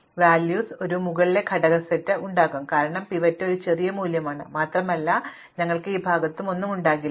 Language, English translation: Malayalam, So, you will have an upper element set which has n minus 1 values, because the pivot is the smallest value and we will have nothing on this side